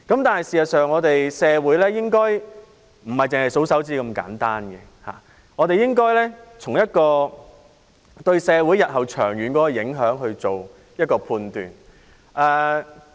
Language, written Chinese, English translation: Cantonese, 但是，社會不應用如此簡單的數算方法，而應從對社會日後長遠的影響來判斷。, However this simple method of counting cannot be applied in society; instead judgment should be made based on the long - term impact on society in the future